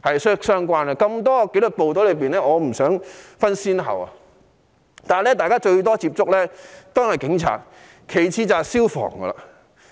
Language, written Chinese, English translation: Cantonese, 眾多紀律部隊中，我不想分先後，但大家接觸得最多的是警察，其次就是消防。, Among the many disciplined forces I do not want to set the order of priority yet the contact between the public and police officers is the most frequent to be followed by firemen